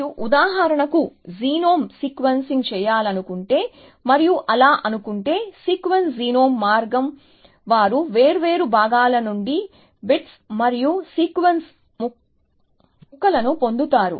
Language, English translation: Telugu, So you do, if you want to do for example, genome sequencing and thinks like that, the way the sequence genome is that they get bits and pieces of the sequence from different parts